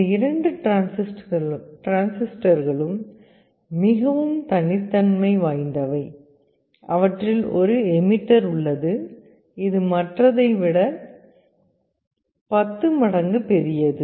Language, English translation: Tamil, And these two transistors are very peculiar, one of them has an emitter which is 10 times larger than the other